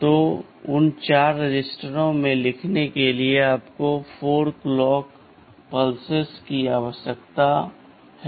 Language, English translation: Hindi, So, to write into those 4 registers you need 4 clock pulses